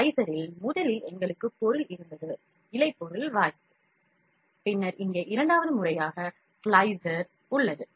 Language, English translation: Tamil, In the slicer, first we had object filament placement, then we have slicer second time here